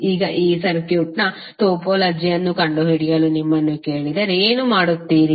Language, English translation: Kannada, Now if you are ask to find out the topology of this circuit, what you will do